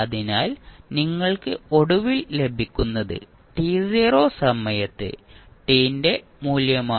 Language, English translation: Malayalam, So, what you get finally is the value of f at time t naught